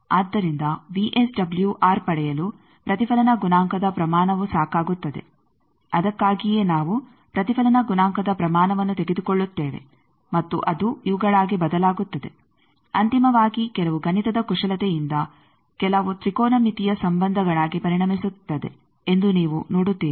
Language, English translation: Kannada, So, the magnitude of the reflection coefficient is sufficient to get VSWR, that is why we take the magnitude of the reflection coefficient, and that turns to be these ultimately you will see that we some mathematical manipulation it become a some trigonometric relations